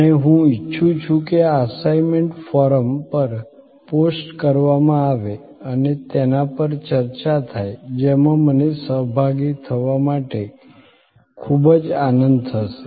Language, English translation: Gujarati, And I would like this assignment to be posted on the forum and discussions on that in which I would be very glad to participant